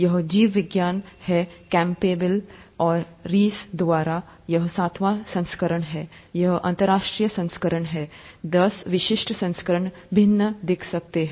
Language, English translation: Hindi, It's, “Biology” by Campbell and Reece, this is the seventh edition here, this is the international edition; the, country specific editions may look different